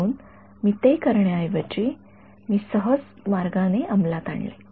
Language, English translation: Marathi, So, instead of doing that I implemented in a smooth way